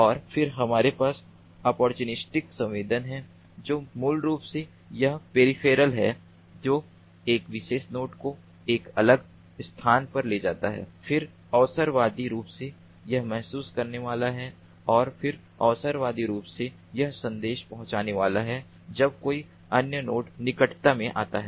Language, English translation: Hindi, and then we have opportunistic sensing, which basically is that peripheral, a particular node moves in that, in a, in a, to a different location, then opportunistically it is going to sense and then opportunistically it is going to deliver the message if another node comes ins proximity